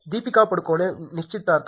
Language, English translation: Kannada, Is Deepika Padukone engaged